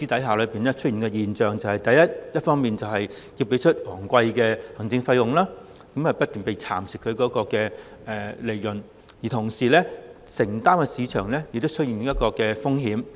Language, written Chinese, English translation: Cantonese, 強積金計劃成員一方面要支付昂貴的行政費，投資所得的利潤不斷被蠶食，同時所作的投資亦要承擔市場風險。, On the one hand members of MPF schemes have to pay expensive administration fees and on the other the profits of their investments are continuously being eroded . In addition when they commit themselves to this investment they have to bear the market risks